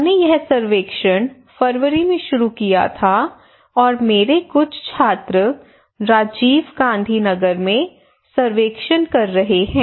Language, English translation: Hindi, And we started this survey in February and some of my students some of our students are conducting surveys in Rajiv Gandhi Nagar okay